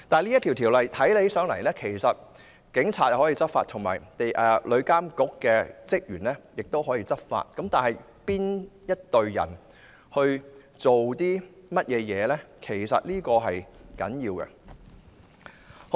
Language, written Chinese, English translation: Cantonese, 在《條例草案》之下，警察可以執法，旅監局職員也可以執法，因此須清楚了解他們各自的權責。, Under the Bill both the Police and TIA staff can enforce the law and thus we need to clearly know their respective powers and responsibilities